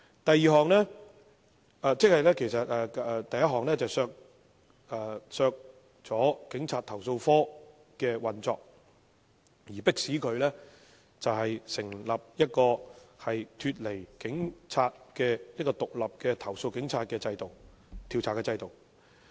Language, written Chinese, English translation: Cantonese, 第一項修正案旨在刪除投訴警察課的運作，迫使政府成立一個獨立於警務處的制度，以調查對警察的投訴。, The first amendment seeks to cut the operation of CAPO thereby forcing the Government to establish a system independent of HKPR for the investigation of complaints against the Police